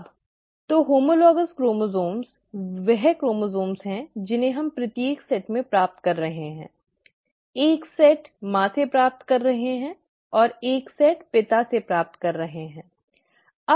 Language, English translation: Hindi, Now, so the homologous chromosomes are the chromosomes that we are receiving each set, one set receiving from mother, and one set receiving from father